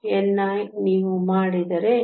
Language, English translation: Kannada, N i, if you do it is 2